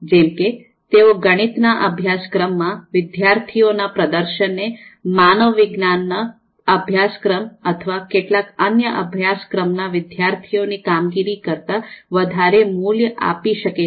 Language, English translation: Gujarati, So therefore, they might value performance of students in mathematics courses more than the performance of student in humanities courses or some other courses